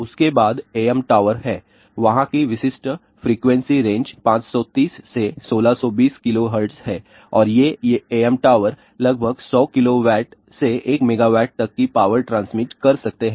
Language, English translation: Hindi, Then there are AM towers are there typical frequency range is 530 to 1620 kilohertz and these AM towers may transmit about 100 kilowatt of power up to even 1 megawatt of power